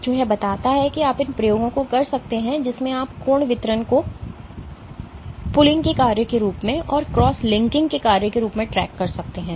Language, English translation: Hindi, So, this suggests that you can do these experiments in which you can track the angle distribution as a function of pulling and as a function of cross linking